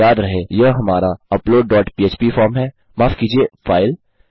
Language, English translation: Hindi, Remember this is in our upload dot php form, file sorry